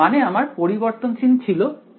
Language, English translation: Bengali, I mean I my variable was rho